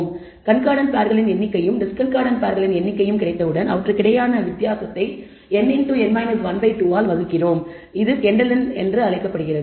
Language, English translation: Tamil, So, once we have the number of concordant pairs and number of discordant pairs we take the difference between them divide by n into n minus 1 by 2 and that is called the Kendall’s tau